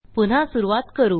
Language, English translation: Marathi, There we restart